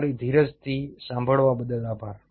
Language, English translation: Gujarati, thank you for your patience listening